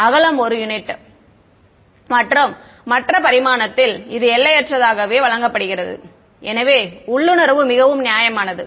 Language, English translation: Tamil, The width is given as 1 unit and infinite in the other dimension so, fairly intuitive right